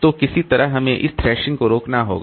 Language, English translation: Hindi, So, somehow we have to stop this thrashing